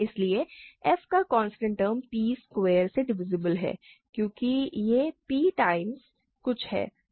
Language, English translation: Hindi, Hence, constant term of f is divisible by p squared, right because this is p time some thing, this is p time some thing